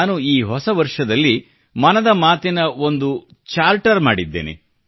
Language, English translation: Kannada, My dear countrymen, we touched upon the Mann Ki Baat Charter